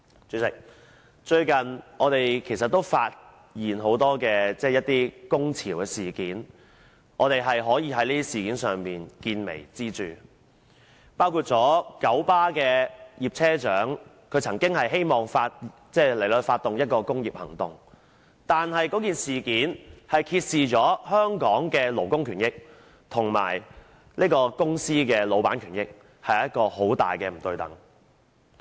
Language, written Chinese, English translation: Cantonese, 主席，最近，我們看見很多工潮事件，而我們可以從這些事件見微知著，包括九龍巴士有限公司的葉車長曾經希望發動工業行動，這事件揭示了香港的勞工權益及公司的老闆權益兩者在很大程度上並不對等。, President recently we have seen many cases of strikes and in these incidents we can learn about the big picture from the small clues . For example a bus captain surnamed YIP of the Kowloon Motor Bus Company 1933 Limited had planned to take industrial actions and this incident has revealed the fact that the rights and interests of workers and those of the corporation or employers are to a large extent unequal